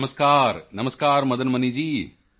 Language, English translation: Punjabi, Namaskar… Namaskar Madan Mani ji